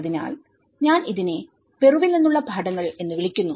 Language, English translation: Malayalam, So, this I call it as lessons from Peru